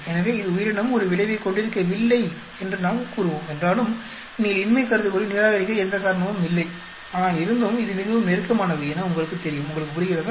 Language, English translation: Tamil, So, although we will say that it does not have an effect that means, organism there is no reason for you to reject the null hypothesis, but still it is pretty close you know, you understand